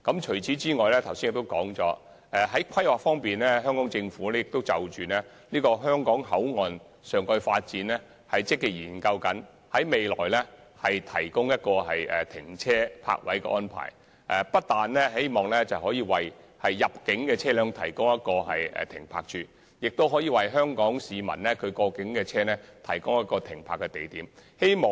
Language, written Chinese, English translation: Cantonese, 此外，我剛才說過，在規劃方面，香港政府正積極研究香港口岸的上蓋發展，並考慮提供泊車位，不但可以為入境車輛提供停泊位，亦可以為香港市民的本地車輛提供停泊位。, Furthermore as I said before in terms of planning the Hong Kong Government is proactively conducting a study on building a topside development at the Hong Kong Port and will consider providing parking spaces there . This will provide parking spaces not only for inbound vehicles but also for local vehicles for Hong Kong people